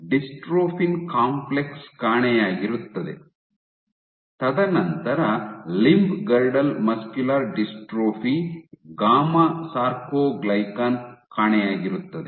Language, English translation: Kannada, So, the dystrophin complex is missing, and then limb girdle muscular dystrophy gamma soarcoglycan is missing